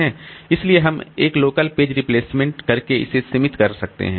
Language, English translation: Hindi, So, we can limit it by doing a local page replacement